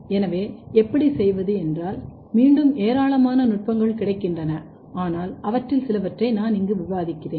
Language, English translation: Tamil, So, how to do there are again plenty of techniques available, but few of them I am discussing here